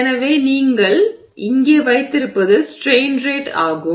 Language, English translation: Tamil, So, what you have here is strain rate